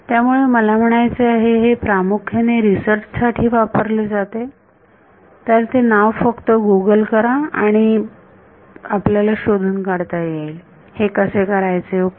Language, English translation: Marathi, So, I mean it is used extensively for research purposes so just Google this name and you will find out how to do it ok